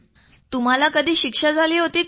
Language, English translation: Marathi, Did you ever get punishment